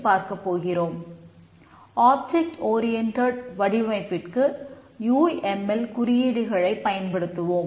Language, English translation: Tamil, Let us see how to carry out the object oriented design